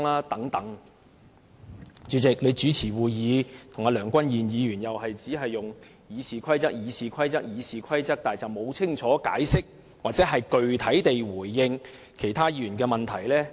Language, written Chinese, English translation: Cantonese, 代理主席，你主持會議，跟梁君彥議員一樣，都是只會重複提述《議事規則》，但卻沒有清楚解釋或具體地回應議員的問題。, Deputy Chairman you and Mr Andrew LEUNG share the same style of chairing repeatedly making reference to the Rules of Procedure RoP without giving clear or definite responses to Members queries